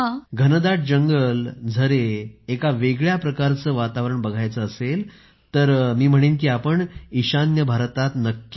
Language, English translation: Marathi, Dense forests, waterfalls, If you want to see a unique type of environment, then I tell everyone to go to the North East